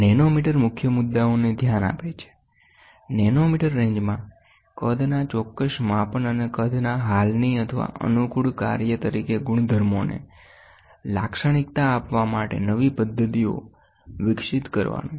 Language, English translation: Gujarati, The nanometer addresses to main issues, precise measurement of sizes in nanometer range, and adapting existing or developing new methods to characterize properties as a function of size